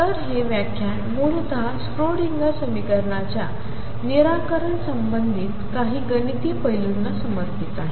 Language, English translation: Marathi, So, this lecture is essentially devoted to some mathematical aspects related to the solutions of the Schrodinger equation